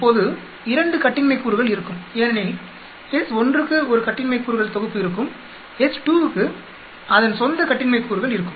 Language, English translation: Tamil, Now there will be 2 degrees of freedom because s 1 will have 1 set of degrees of freedom, s 2 also will have it is own set of degrees of freedom